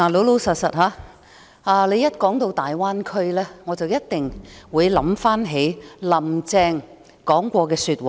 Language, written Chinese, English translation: Cantonese, 老實說，談到大灣區，我一定會想起"林鄭"說過的話。, Frankly whenever we talk about the Greater Bay Area the words of Carrie LAM will pop into my head